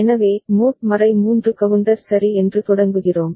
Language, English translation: Tamil, So, we begin with mod 3 counter ok